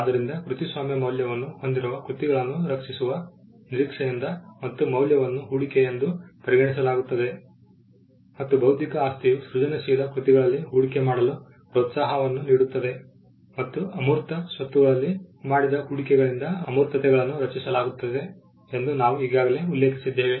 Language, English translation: Kannada, So, copyrighted works are expected to protect works that have value and the value is regarded as an investment and we had already mentioned that a intellectual property gives incentives for investing into the creative works and intangibles are created by investments made in intangible assets